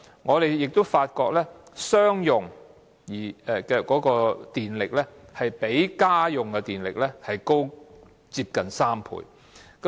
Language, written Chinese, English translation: Cantonese, 我們也發覺，商用耗電量比家用耗電量高接近3倍。, We have also noticed that the electricity consumption of commercial premises is almost three times higher than that of household premises